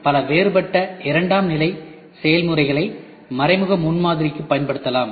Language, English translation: Tamil, So, indirect prototyping many different secondary processes can be used for indirect prototyping